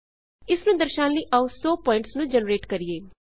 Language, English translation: Punjabi, To illustrate this, lets try to generate 100 points